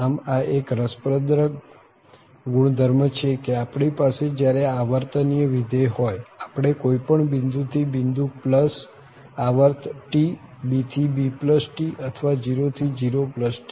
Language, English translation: Gujarati, So, that is the interesting property that whenever we have this periodic function we can integrate from any point to that point plus the period T, b to b plus T or from 0 to 0 plus t